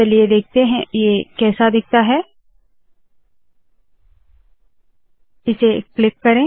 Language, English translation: Hindi, Let us see what this looks like